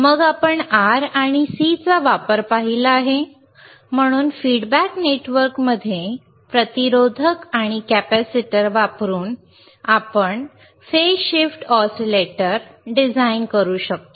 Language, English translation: Marathi, So, using resistors and capacitors in end of the feedback network what we can get, we can get a, we can we can design a phase shift oscillator right